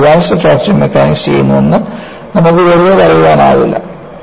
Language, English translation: Malayalam, You cannot simply say I am doing an Advanced Fracture Mechanics